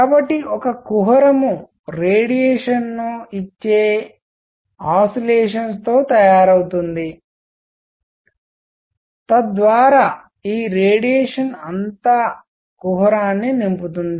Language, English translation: Telugu, So, a cavity is made up of oscillators giving out radiation, so that all this radiation fills up the cavity